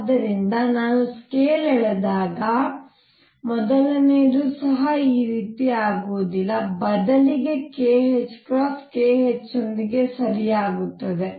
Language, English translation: Kannada, So, if I would draw to the scale even the first one would not be like this, instead it will be that k h cross is right along k h